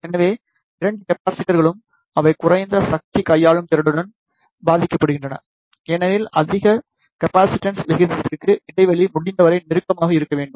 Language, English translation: Tamil, So, the both of the capacitors, they suffers with the low power handling capability, because for high capacitance ratio the gap should be as close as possible